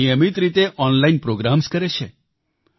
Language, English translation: Gujarati, He regularly conducts online programmes